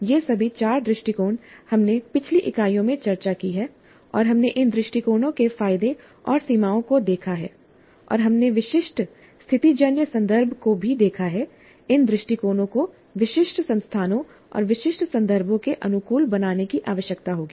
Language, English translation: Hindi, All these four approaches we have discussed in the earlier units and we saw the advantages and limitations of these approaches and we also looked at the specific situational context which will necessiate adapting these approaches to specific institutes and specific contexts